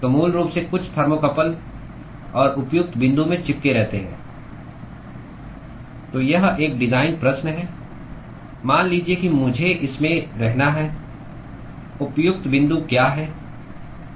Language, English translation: Hindi, So, basically stick in some thermocouple and the appropriate point so, this is a design question: supposing I have to stick in what is the appropriate point